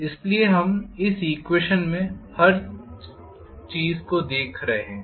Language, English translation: Hindi, So we are looking at every single thing in this equation